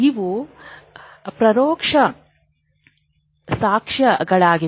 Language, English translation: Kannada, That is all indirect evidence of it